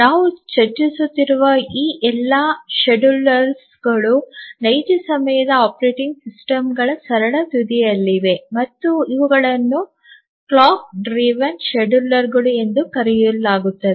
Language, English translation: Kannada, So, all these schedulers that we are looking at are at the simplest end of the real time operating systems and these are called the clock driven schedulers